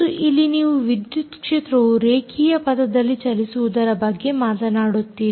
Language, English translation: Kannada, and here you talk about electric field moving along linear path